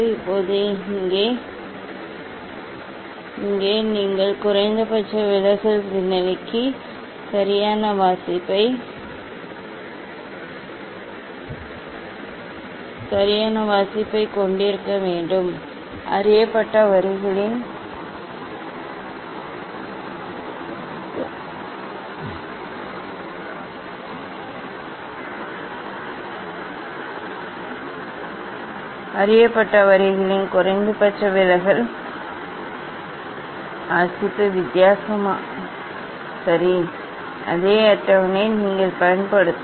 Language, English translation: Tamil, Now, here you have to right reading for the minimum deviation position, reading for the minimum deviation position of known lines that is the difference ok, same table you will use